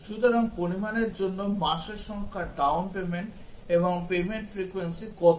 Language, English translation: Bengali, So, for the amount, the number of months what is the down payment and payment frequency